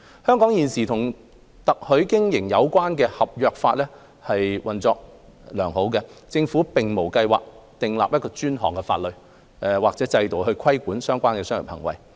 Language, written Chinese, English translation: Cantonese, 香港現時與特許經營有關的合約法運作良好，政府並無計劃訂定專項法例或制度規管相關的商業行為。, The current contract law related to franchising in Hong Kong has been functioning effectively . The Government has no plan to introduce dedicated legislation or system to regulate the relevant business activities